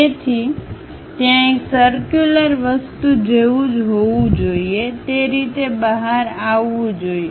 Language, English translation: Gujarati, So, there must be something like a circular thing, supposed to come out in that way